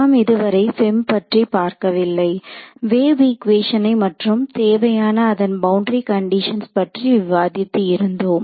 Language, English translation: Tamil, So far we have not come to the FEM we have just discussed the wave equation and shown you the boundary condition that is required right